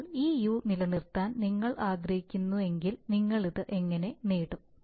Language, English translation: Malayalam, So now how are we going to get this u, if you want to maintain this u